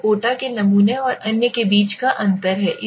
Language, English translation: Hindi, That is the difference between the quota sampling and others okay